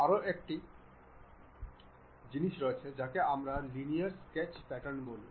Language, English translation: Bengali, There is one more powerful thing which we call this Linear Sketch Pattern